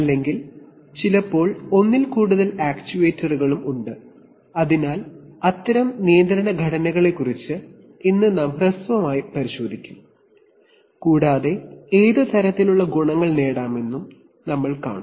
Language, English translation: Malayalam, Or there are sometimes more than one actuator also, so we will take a brief look today at those kind of control structures and we will also see what kind of advantages can be derived by this